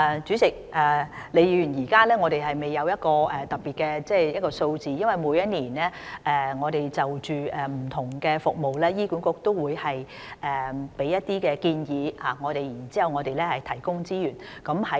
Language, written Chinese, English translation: Cantonese, 主席，李議員，我們現在未有具體的數字，因為醫管局每年均會就不同的服務，向我們提出一些建議，然後我們會提供資源。, President Prof LEE we do not have specific figures at present since HA will raise proposals on various services with us on a yearly basis and we will then provide the necessary resources